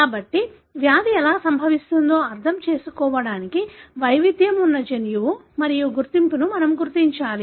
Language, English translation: Telugu, So, to understand how the disease is caused, we need to identify the gene and identity where is the variation